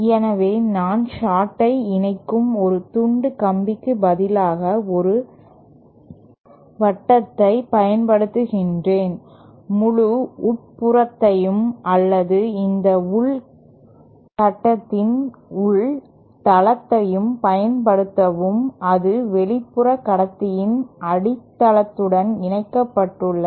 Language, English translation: Tamil, So, I kind of use a disk rather than single piece of wire connecting the short, use the entire bottom or the inner base of this inner conductor is connected to the base of the outer conductor